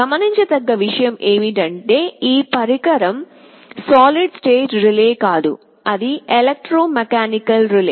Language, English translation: Telugu, The point to notice is that this device is not a solid state relay, rather it is an electromechanical relay